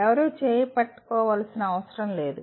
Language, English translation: Telugu, Nobody need to hold out hand